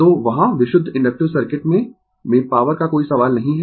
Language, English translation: Hindi, So, there is no question of power in the in purely inductive circuit right